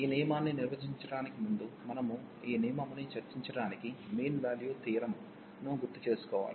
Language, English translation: Telugu, So, before we go to define this rule discuss this rule, we need to recall the mean value theorems